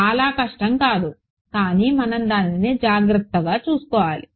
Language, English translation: Telugu, Not very hard, but we just have to keep taking care of it